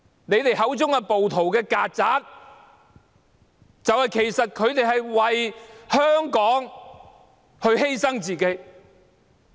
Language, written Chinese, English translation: Cantonese, 你們口中的"暴徒"、"曱甴"，其實是為香港犧牲自己。, The rioters or cockroaches in your words are actually sacrificing themselves for the greater good of Hong Kong